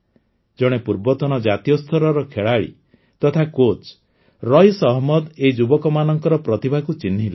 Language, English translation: Odia, Raees Ahmed, a former national player and coach, recognized the talent of these youngsters